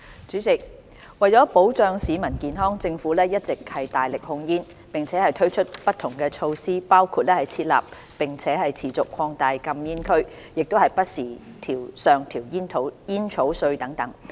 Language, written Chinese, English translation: Cantonese, 主席，為保障市民健康，政府一直大力控煙，並推出不同措施，包括設立並持續擴大禁煙區、不時上調煙稅等。, President to safeguard public health the Government has made strenuous efforts in tobacco control and introduced various measures including the designation and continuous expansion of no - smoking areas and periodic increases in tobacco duty